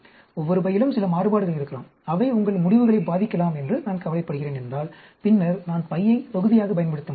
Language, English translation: Tamil, If I am worried, that each bag may have some variations, which may affect your results, then I can use bag as block